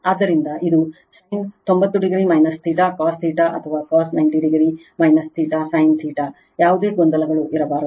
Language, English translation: Kannada, So, this is sin 90 degree minus theta cos theta or cos 90 degree minus theta sin theta, there should not be any confuse right